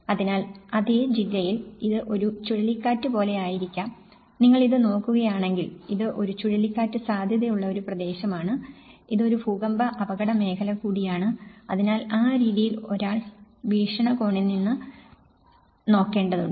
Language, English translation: Malayalam, So, at the same district, it might be a cyclone like for instance, if you look at this, it is also a cyclone prone, it is also an earthquake hazard zone, so in that way, one has to look from that perspective